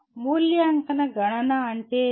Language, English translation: Telugu, Evaluation count means what